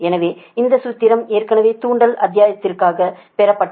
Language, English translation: Tamil, so this formula already derived for inductance chapter